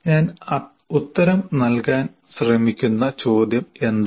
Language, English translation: Malayalam, So what is the question I am trying to answer